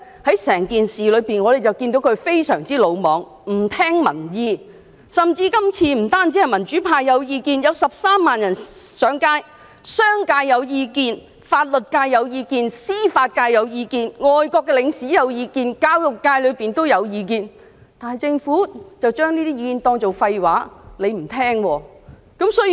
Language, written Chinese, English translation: Cantonese, 在整件事上，我們看到她非常魯莽、不聽民意，這次不單是民主派有意見，還有13萬市民上街抗議，甚至商界、法律界、司法界、外國領事及教育界也有表達意見，但政府將這些意見當作廢話，不聽民意。, This time around not only the pro - democracy camp have views 130 000 people have taken to the streets in protest . Even the business sector legal sector judicial sector foreign envoys and the education sector have expressed their views . Yet the Government simply regards these views as nonsense and refuses to heed public opinions